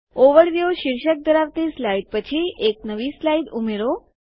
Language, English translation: Gujarati, Insert a new slide after the slide titled Overview